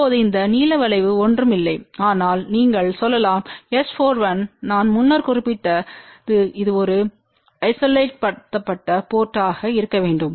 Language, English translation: Tamil, Now this blue curve is nothing, but you can say S 4 1 which I had mention earlier it is supposed to be an isolated port